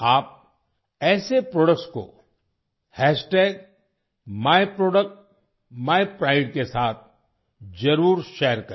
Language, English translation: Hindi, You must share such products with #myproductsmypride